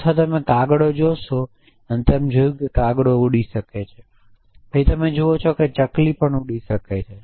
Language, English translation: Gujarati, And you see that the crow can fly and you see that the sparrow and you can see that sparrow can fly